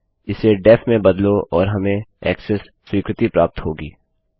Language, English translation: Hindi, Change this to def and well get Access granted